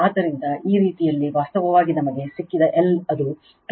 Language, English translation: Kannada, So, this way actually your L we have got that is your 2